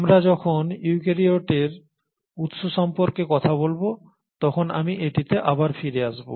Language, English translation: Bengali, And I will come back to this again when we talk about origin of eukaryotes